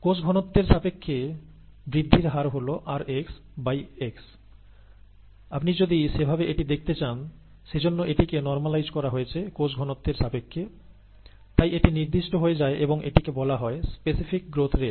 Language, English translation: Bengali, It is all it is growth rate with respect to cell concentration ‘rx by x’, if you want to look at it that way; therefore that has been normalized with respect to cell concentration; therefore it becomes specific, and therefore, it is called specific growth rate